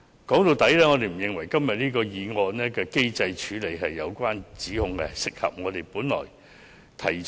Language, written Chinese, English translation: Cantonese, 說到底，我們不認為議案對機制處理的相關指控合理。, After all we do not consider the allegations made in this motion against the mechanism reasonable